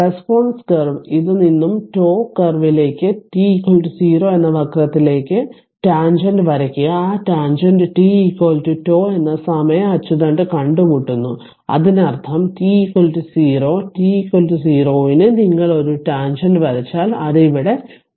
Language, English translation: Malayalam, So, for determining tau from the response curve, draw the tangent to the curve at t is equal to 0; that tangent meets the time axis at t is equal to tau; that means, that t is equal to 0 at t is equal to 0 if you draw a tangent it will meet here at tau right here it will meet at tau right